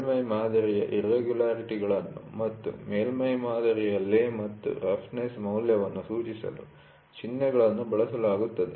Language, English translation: Kannada, Symbols are used to designate surface irregularities such as, lay of the surface pattern and the roughness value